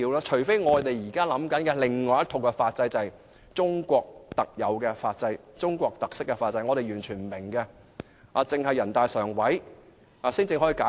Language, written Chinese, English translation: Cantonese, 除非我們現在考慮的是另一套法制，就是中國特有或有中國特色的法制，是我們完全不明白的法制，只有人大常委會才能解釋。, Thus do not say that the systems are very different unless we are actually considering a third kind of legal system namely a legal system which is unique to China with Chinese characteristics . That is a legal system which we fail to understand and only NPCSC has the authority to explain